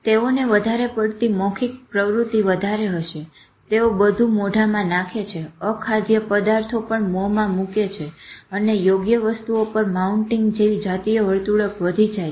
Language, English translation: Gujarati, They will have an increased oral activity, it will put everything to the mouth, including placing inedible objects in their mouth and the sexual behavior increases, like mounting inappropriate objects